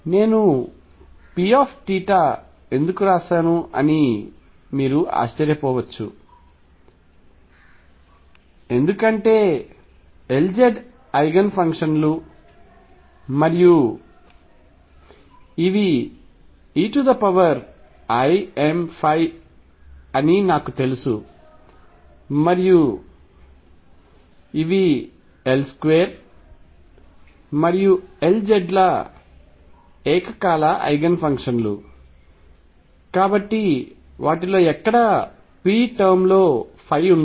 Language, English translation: Telugu, You may wonder why I wrote P theta that is because I already know the L z Eigen functions and those are e raised to i m phi and since these are simultaneous Eigenfunctions of L square and L z they cannot be any phi term in P